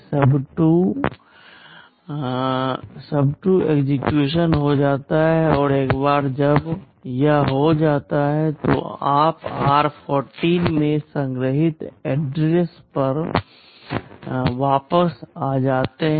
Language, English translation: Hindi, MYSUB2 gets executed and once it is done, you return back to the address stored in r14